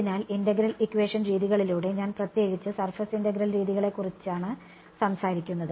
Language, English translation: Malayalam, So, by integral equation methods, I am particularly talking about surface integral methods ok